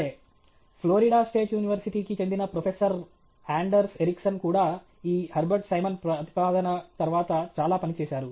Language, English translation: Telugu, Okay Professor Anders Ericsson of Florida State University has also done lot of work on this, subsequent to this Hebert Simon’s proposal